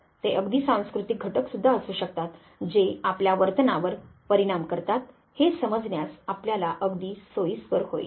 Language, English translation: Marathi, It could be even cultural factors that impact our behavior you will be very conveniently able to understand